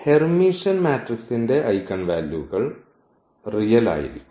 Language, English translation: Malayalam, So, the eigenvalues of Hermitian matrix are real